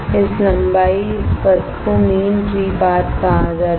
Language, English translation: Hindi, Second is there is a concept called mean free path